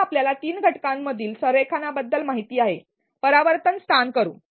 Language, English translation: Marathi, Now, since of aware of alignment between the three components, let us do a reflection spot